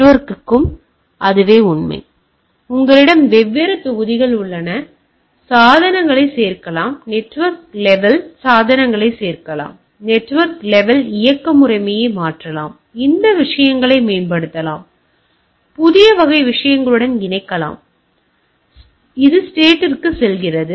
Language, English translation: Tamil, Same is true for the network right, you have different modules add devices, add network level devices, change the network level operating system, enhance those things, patch with new type of things, and it goes on going to the state